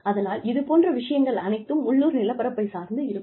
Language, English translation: Tamil, So, stuff like that, would depend, you know, this is the local topography